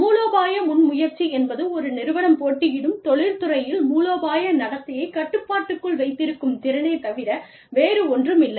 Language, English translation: Tamil, Strategic initiative, is nothing but, the ability to capture control of strategic behavior, in the industries in which, a firm competes